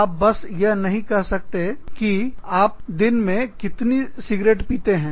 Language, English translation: Hindi, You cannot, just say, okay, please write down, how many cigarettes, you smoke in a day